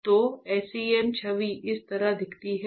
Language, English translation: Hindi, So, this is how the SEM image looks like